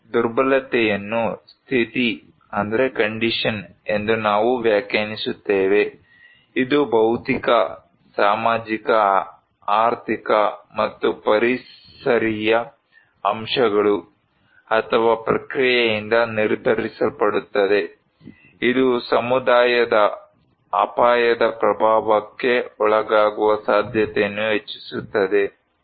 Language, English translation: Kannada, Now, we define vulnerability as the condition, that determined by physical, social, economic and environmental factors or process which increase the susceptibility of a community to the impact of hazard